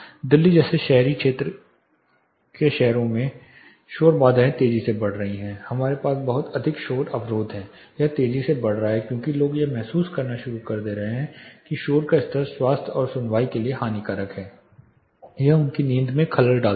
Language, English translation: Hindi, Noise barriers are increasingly coming up in urban areas cities like Delhi we have lot of noise barriers being put up, it has increasingly becoming as people start realizing that increase noise levels are injurious to harmful to health and hearing, it disturbs their sleep